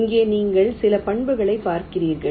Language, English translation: Tamil, here you look at some of the properties